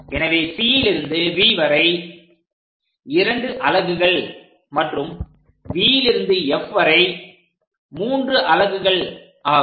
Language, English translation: Tamil, So, C to V is 2 units, and V to F is 3 units, in that way we divide this entire C to F part